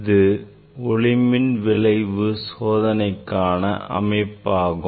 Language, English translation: Tamil, this is the experimental setup for photoelectric effect